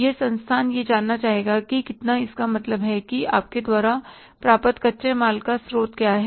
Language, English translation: Hindi, That institution would like to know that how much, what is the source of the raw material you are getting